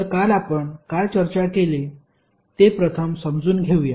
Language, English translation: Marathi, So, let us first understand what we discussed yesterday